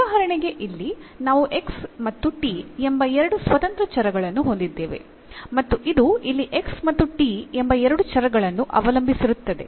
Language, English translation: Kannada, So, for instance here we have two independent variables the x and t and this we depends on two variables here x and t